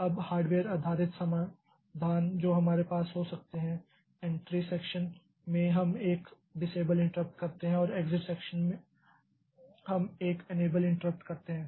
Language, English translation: Hindi, Now, hardware based solutions that we can have is at the entry section we do a disable interrupts and the exit section we do an enable interrupt